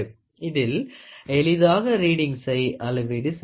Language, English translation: Tamil, The readings are very easy to measure